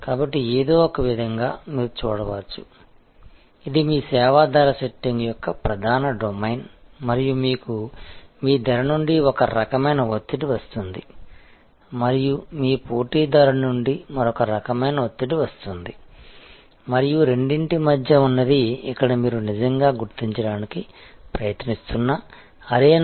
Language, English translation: Telugu, So, in some way one can see that as if, this is your main domain of service price setting and you have one kind of pressure coming from your cost and another kind of pressure coming from your competition and between the two is the arena, where you actually try to determine